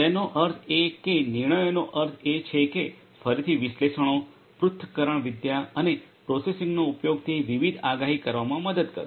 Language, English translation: Gujarati, That means, decisions means that again analytics use of analytics and processing and these will help in making different predictions